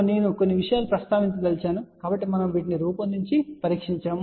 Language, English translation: Telugu, A few things I want to mention , so we have manufactured these things we tested these things also